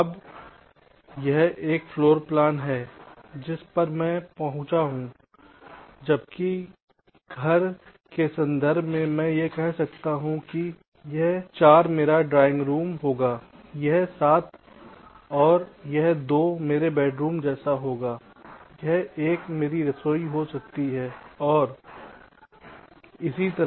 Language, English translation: Hindi, right now, this is the rough floorplan that i have arrived, that while in terms of the house, again, i can say this four will be my drawing room, this seven and this two will be my, ah say, bedrooms like that, this one can be my kitchen, and so on